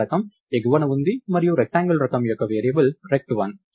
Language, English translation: Telugu, The data type is in the top and rect1 is the variable of the type rectangle